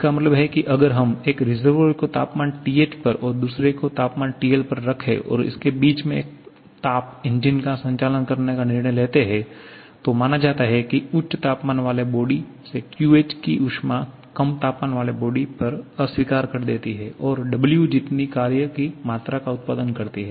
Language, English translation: Hindi, It means suppose if we decide 2 reservoirs one at temperature TH and another at temperature TL and heat engine operating between the two getting suppose QH amount of heat from the high temperature body rejecting QL to the low temperature body and producing W amount of work